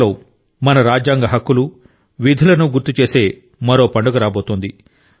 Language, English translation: Telugu, Meanwhile, another festival is arriving which reminds us of our constitutional rights and duties